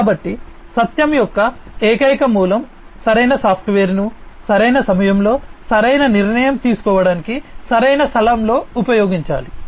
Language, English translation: Telugu, So, this single source of truth must employ the right software, at the right time, at the right place for right decision making